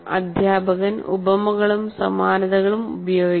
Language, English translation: Malayalam, So the teacher should use similes and analogies